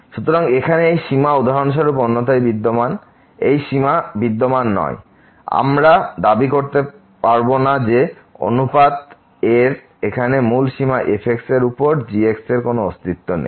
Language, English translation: Bengali, So, this limit here exist otherwise for example, this limit does not exist we cannot claim that the original limiter here of the ratio over does not exist